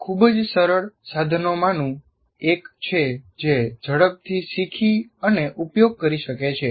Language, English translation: Gujarati, And it's one of the very simple tools that one can quickly learn and use